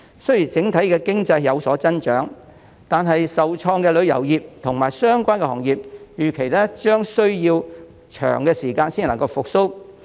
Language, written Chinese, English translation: Cantonese, 雖然整體經濟有所增長，但受創的旅遊業及相關行業預期將需要一段長時間才能復蘇。, Although there will be an overall economic growth the hard - hit tourism and related industries are expected to take a long period of time to recover